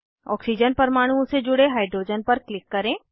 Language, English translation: Hindi, Click on the hydrogen attached to oxygen atoms